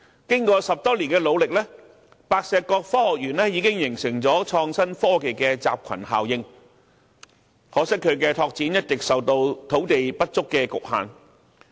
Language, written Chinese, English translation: Cantonese, 經過10多年的努力，白石角科學園已形成了創新科技的集群效應，可惜它的拓展一直受到土地不足的局限。, After more than 10 years of efforts the Science Park at Pak Shek Kok has already achieved some cluster effects to become a flagship of innovation and technology but its further expansion has regrettably been restricted by the problem of insufficient land